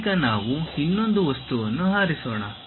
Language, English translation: Kannada, Now, let us pick another object